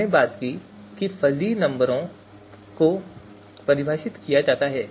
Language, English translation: Hindi, So we talked about how fuzzy numbers are defined